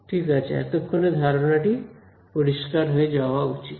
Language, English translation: Bengali, Ok, it should be fairly clear till now